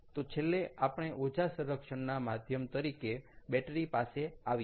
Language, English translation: Gujarati, so, finally, we come to batteries as an energy storage medium